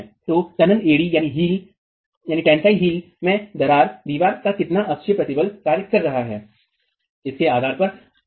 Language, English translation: Hindi, So, tensile heel cracking might happen depending on how much axial stress is acting on the wall